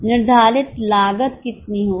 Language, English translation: Hindi, How much will be the fixed costs